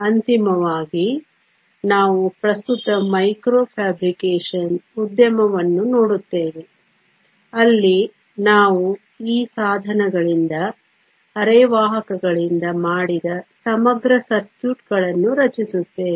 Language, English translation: Kannada, Finally, we will look at the current micro fabrication industry, where we will form integrated circuits made of these devices from semiconductors